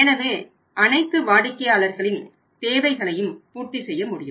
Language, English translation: Tamil, So, we should be able to serve all the customer's needs also